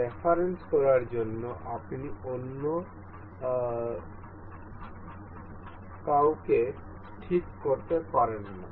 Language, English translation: Bengali, You can fix anyone else to make a reference